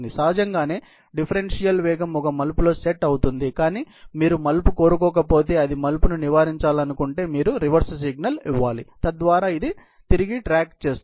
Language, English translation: Telugu, Obviously, the differential speed would happen to set in a turn, but if you don’t want turn or you want avoid the turn, you have to give a reverse signal so that, it keeps back on track